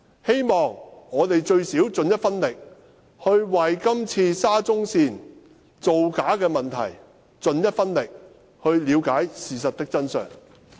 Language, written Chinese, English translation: Cantonese, 希望我們最低限度盡一分力為今次沙中線造假的問題出一分力，了解事實的真相。, I hope we can at least do our part to find out the truth about this corner - cutting incident of the SCL